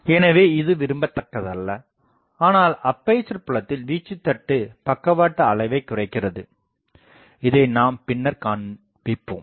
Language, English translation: Tamil, So, that is not desirable, but amplitude taper in the aperture field also decreases the side lobe level this we will show later